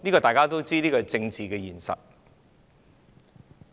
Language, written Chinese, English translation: Cantonese, 大家都知道，這是政治現實。, As we know this is political reality